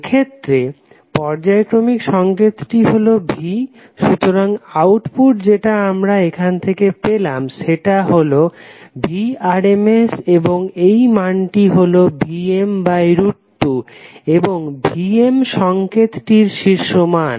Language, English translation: Bengali, In this case this periodic signal is V, so the output which we get from here is Vrms and this value is equal to Vm by root 2 and Vm is the peak value of the signal